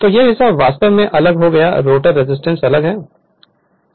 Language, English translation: Hindi, So, this part actually separated the rotor resistance is separated right